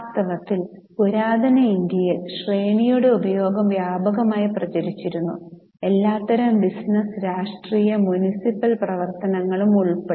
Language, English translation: Malayalam, In fact, the use of straining in ancient India was widespread including virtually every kind of business, political and municipal activity